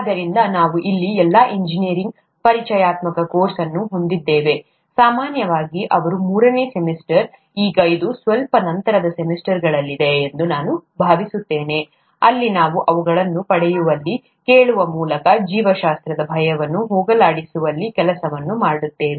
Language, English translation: Kannada, So, we have an introductory course here for all engineers, typically in their third semester, now I think it's in slightly later semesters, where we work on getting them, asking, making them getting over the fear for biology